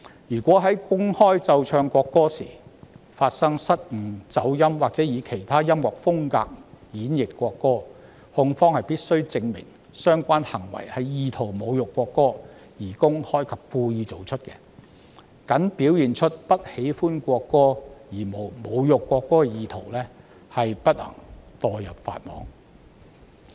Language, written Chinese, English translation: Cantonese, 如果在公開奏唱國歌時發生失誤、走音或以其他音樂風格演繹國歌，控方必須證明相關行為意圖侮辱國歌，而且是公開及故意作出，僅表現出不喜歡國歌而無侮辱國歌意圖不會墮入法網。, When the national anthem is played or sung publicly if errors are made people goes out of tune or the national anthem is played in other musical styles the prosecution must prove that the relevant behaviour is publicly and intentionally insulting the national anthem with intent to insult the national anthem . If a person simply displays his dislike of the national anthem with no intent to insult the national anthem he will not be caught in the net of justice